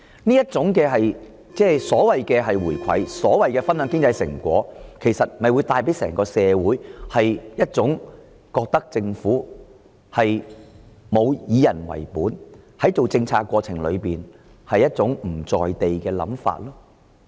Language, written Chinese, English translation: Cantonese, 這種所謂的"回饋"或"分享經濟成果"給予整個社會的感覺，是政府沒有以人為本，以及在制訂政策的過程中"不在地"。, This gives society the impression that the Government has not been people - oriented when it returns wealth to its people or shares the economic fruit with them and that it has been unrealistic when it formulates its policies